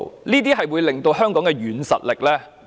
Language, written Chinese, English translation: Cantonese, 這些均可增加香港的軟實力。, These will enhance the soft power of Hong Kong